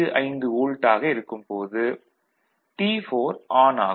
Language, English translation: Tamil, 55 volt of Vi what we see that T4 is just turns on